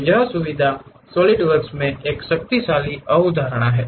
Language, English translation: Hindi, So, these features is a powerful concept in solidworks